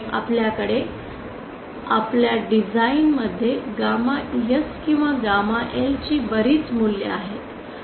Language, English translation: Marathi, So we have lots of values of gamma S or gamma L to our design with